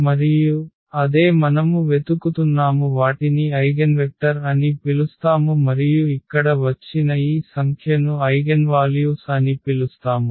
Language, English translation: Telugu, And, that is what we are looking for and these are called actually the eigenvectors and this number which has come here that will be called as eigenvalues